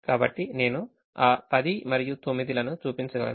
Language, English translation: Telugu, so i can show those ten and nine